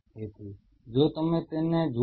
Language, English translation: Gujarati, So, if you look at it